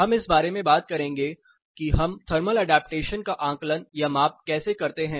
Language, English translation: Hindi, We will talk about how do we assess or measure thermal adaptation, lot of field studies are being conducted